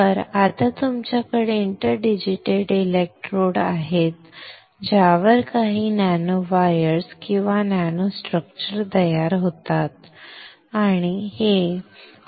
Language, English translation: Marathi, So, now what you have is an interdigitated electrodes on which this some nano wires or nano structures are formed, alright